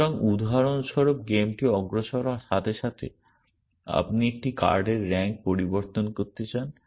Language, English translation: Bengali, So, for example, as the game progresses you want to change the rank of a card essentially